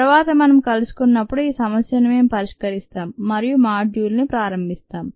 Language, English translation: Telugu, when we meet next, we will solve this problem and start module two